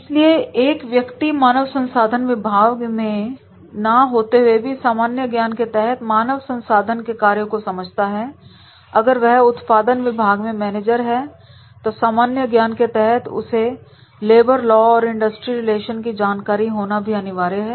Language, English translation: Hindi, So therefore a person may not be into the HR department, executive may not be into the HR department, but he is supposed to know how a general knowledge when he is a production manager or in the discipline of the production, he should have a general knowledge and awareness about the labour laws and industrial relations